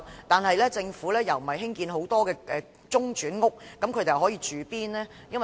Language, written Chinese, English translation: Cantonese, 但政府並沒有興建很多中轉屋，那麼他們可在哪裏居住呢？, Yet the Government has not built too many interim housing units . Where can they live?